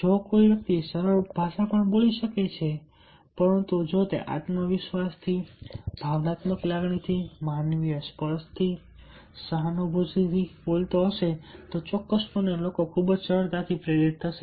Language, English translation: Gujarati, if a person can speak even a simple language, but if it is loaded with the confidence, with the emotional feeling, with the human touch, ah, with the sympathy, with the empathy, then definitely people will be hm, will get very easily motivated